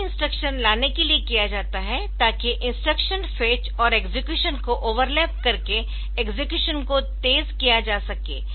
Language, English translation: Hindi, So, this is done in order to speed up the execution by overlapping the instruction fetch and execution